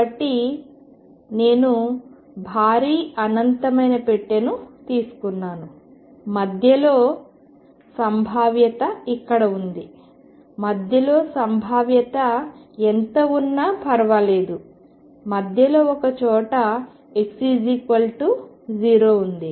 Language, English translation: Telugu, So, I have taken a huge infinite box and in between here is the potential no matter what the potential does and somewhere in the middle is my x equals 0